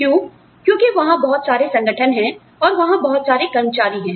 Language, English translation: Hindi, Why because, there are so many organizations, that are there